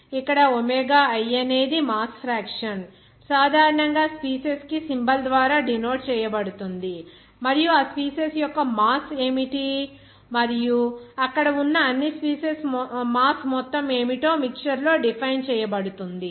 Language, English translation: Telugu, Here omega i is the mass fraction is generally denoted by this symbol for a species and it will be defined by in a mixture that what is the mass of that species i and what will be the sum of the mass of all species there